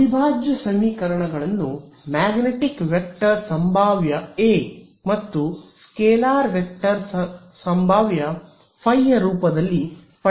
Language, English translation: Kannada, Now, we when we had derived the integral equations in terms of this magnetic vector potential A and scalar vector scalar potential phi